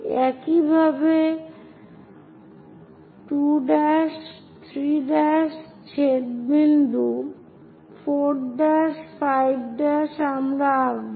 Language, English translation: Bengali, Similarly, a 2 dash, 3 dash intersecting point, 4 dash, 5 dash we will draw